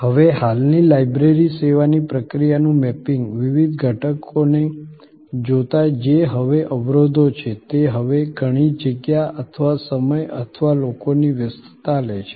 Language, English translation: Gujarati, Now, mapping the process of the existing library service, looking at the different elements that are now bottlenecks are now takes a lot of space or time or people engagement